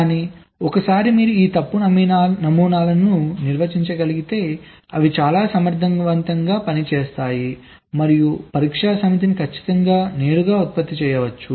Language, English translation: Telugu, but once you can define these fault models, they can be very efficient and the test set can be generated absolutely directly